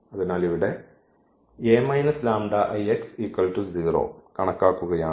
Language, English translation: Malayalam, So, like let us compute this